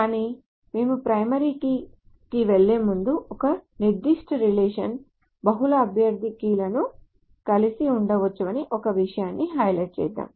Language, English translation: Telugu, But before we go to that primary key, let me highlight one thing that a particular relation may have multiple candidate keys